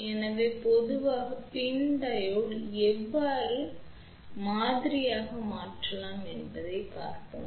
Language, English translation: Tamil, So, let us see how we can model the PIN Diode in general